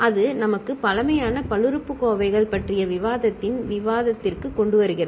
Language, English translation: Tamil, And that gives us brings to the discussion of discussion on primitive polynomials